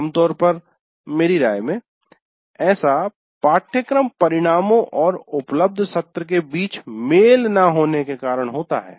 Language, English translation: Hindi, So one is mismatch between the course outcomes and the available sessions